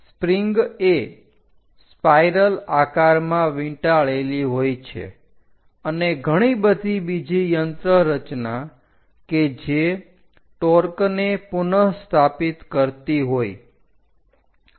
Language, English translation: Gujarati, The spring is wounded into a spiral shape and many torque restoring kind of mechanisms